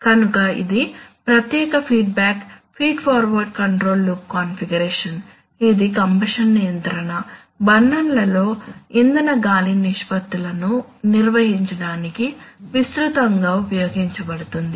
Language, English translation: Telugu, So it is a special feedback feed forward control loop configuration which is widely used for maintaining composition control, fuel air ratios in burners